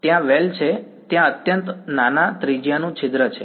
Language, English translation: Gujarati, There is well there is a hole of infinitely small radius